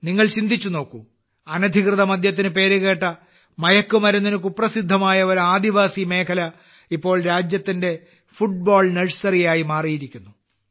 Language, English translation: Malayalam, Just imagine a tribal area which was known for illicit liquor, infamous for drug addiction, has now become the Football Nursery of the country